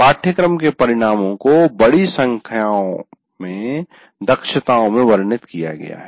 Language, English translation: Hindi, That means course outcomes are elaborated into a larger number of competencies